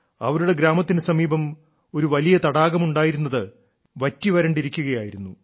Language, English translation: Malayalam, Close to her village, once there was a very large lake which had dried up